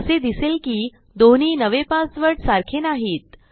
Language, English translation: Marathi, You can see that my two new passwords dont match